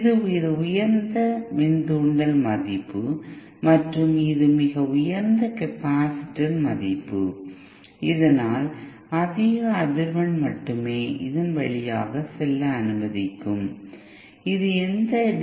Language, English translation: Tamil, This is a very high inductance value and this is a very high capacitance value, so that it will allow only high frequency to pass through this, it will not allow any DC to pass through it